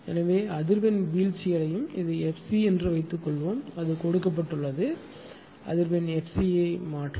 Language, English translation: Tamil, So, frequency will fall suppose this is f c it is given right, change frequency f c